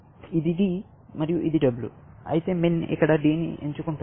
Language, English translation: Telugu, This is D; this is W; min will choose a D here